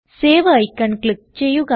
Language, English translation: Malayalam, Click on the Save icon